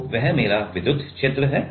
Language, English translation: Hindi, so that is my electric field